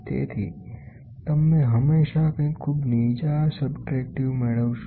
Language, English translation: Gujarati, So, you will always get something like a very low subtractive